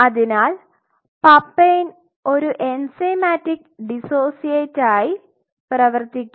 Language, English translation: Malayalam, So, the papain act as an enzymatic dissociate